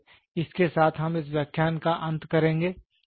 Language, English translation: Hindi, So, with this, we will come to an end of this lecture